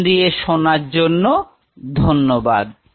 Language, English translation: Bengali, Thanks for your patience listening